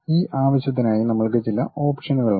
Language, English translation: Malayalam, For that purpose we have some of the options